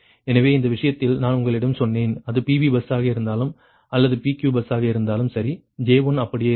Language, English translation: Tamil, so ah, in this case i told you that whether it is pv bus or pq bus, j one will remain same right